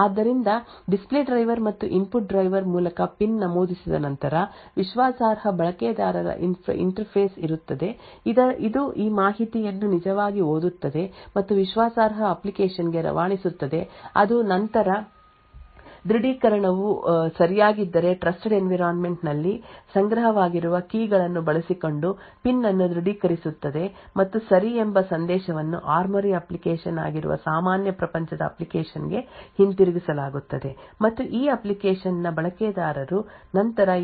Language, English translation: Kannada, So once the PIN is entered through the display driver and the input driver there would be a Trusted user interface which actually reads this information and pass on to the trusted application which then authenticates the PIN using keys which are stored in the trusted environment if the authentication is right then the and ok message is sent back to the normal world application that is the ARMORY application and the user of this application would then continue to use this application